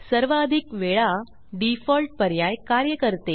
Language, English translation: Marathi, The Default option will work in most cases